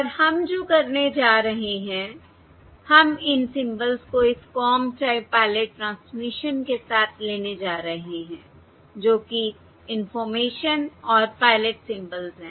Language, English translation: Hindi, okay, And what we are going to do is we are going to take these symbols with this Comb Type Pilot transmission, that is, the information and pilot symbols, And now we are going to do the